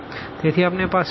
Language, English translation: Gujarati, So, we have the free variable